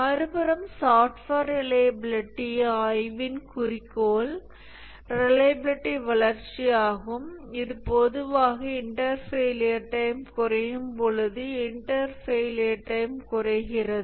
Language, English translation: Tamil, So the study of hardware reliability stability, reliability, whereas the goal of software reliability is reliability growth, the inter failure times increases whereas in hardware the inter failure times remain constant